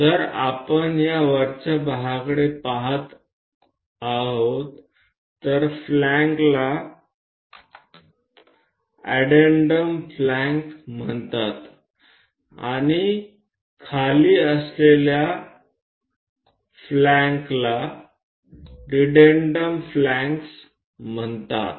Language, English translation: Marathi, And if we are looking at this top portion that flanks are called addendum flanks and the down ones are called dedendum flanks